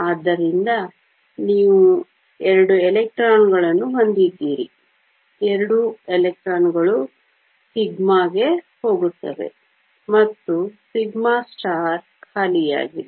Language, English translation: Kannada, So, you have two electrons, both electrons go to sigma, and sigma star is empty